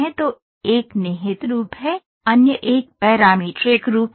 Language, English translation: Hindi, So, one is the implicit form, the other one is the parametric form